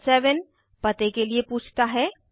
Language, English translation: Hindi, Item 7 asks for your address